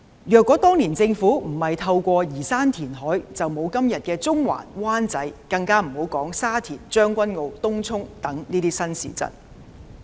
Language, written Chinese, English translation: Cantonese, 若當年政府不進行移山填海，就沒有今天的中環、灣仔，更別說沙田、將軍澳、東涌等新市鎮。, If the Government had not reclaimed land back then we would not have Central Wan Chai today let alone new towns such as Sha Tin Tseung Kwan O and Tung Chung